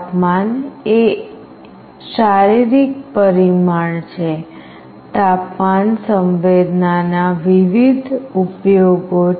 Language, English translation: Gujarati, Temperature is a physical parameter; sensing temperature has various applications